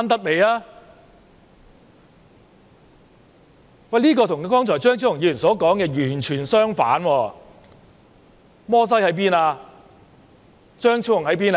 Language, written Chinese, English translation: Cantonese, "這與張超雄議員剛才說的完全相反，摩西在哪裏？, This is entirely different from what Dr Fernando CHEUNG said just now . Where was Moses?